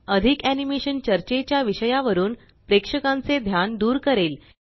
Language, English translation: Marathi, Too much animation will take the attention of the audience away From the subject under discussion